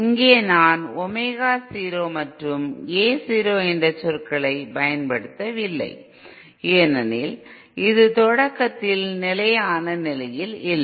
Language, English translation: Tamil, Note that here IÕm not using the terms Omega 0 and A 0 because this is at the start not at the steady state